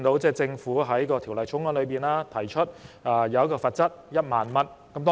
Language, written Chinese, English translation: Cantonese, 政府在《條例草案》提出罰則為1萬元。, The Government has proposed a penalty of 10,000 in the Bill